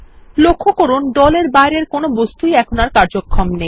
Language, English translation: Bengali, Notice that all the objects outside the group are disabled